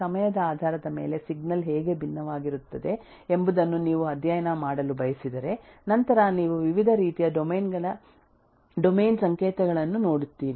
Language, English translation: Kannada, If you want to study how the signal will differ based on time, then you will possibly look at the different kinds of time domain signals